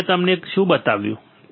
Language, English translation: Gujarati, Now what I have shown you